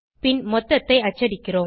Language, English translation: Tamil, Then we print a total